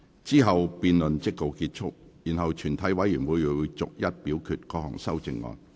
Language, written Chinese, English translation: Cantonese, 之後辯論即告結束，然後全體委員會會逐一表決各項修正案。, The debate will then come to a close and the committee will proceed to vote on the amendments seriatim